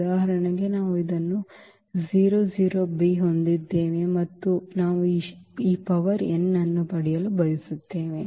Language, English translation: Kannada, So, for instance we have this a 0 0 b and we want to get this power n there